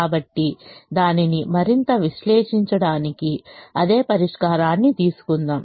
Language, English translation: Telugu, so let us take the same solution to analyze it for them